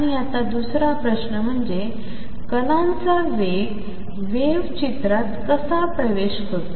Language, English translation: Marathi, And question number 2 is how is the speed of particle enters the wave picture